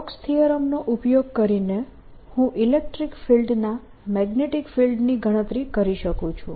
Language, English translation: Gujarati, using stokes theorem, i can calculate the magnetic of the electric field